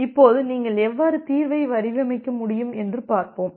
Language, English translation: Tamil, Now let us see that how you can designed it is solution